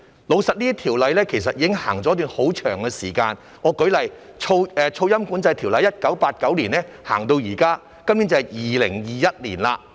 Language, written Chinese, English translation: Cantonese, 老實說，這些條例其實已實行一段很長時間，我舉例，《噪音管制條例》由1989年實行至今，今年已是2021年。, Frankly speaking these ordinances have been in force for a very long time . For example the Noise Control Ordinance has been in force since 1989 and this year is 2021